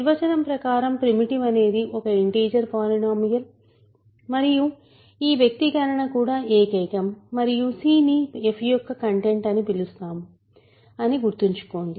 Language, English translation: Telugu, Remember primitive by definition means it is an integer polynomial and this expression is unique and c is then called the content of f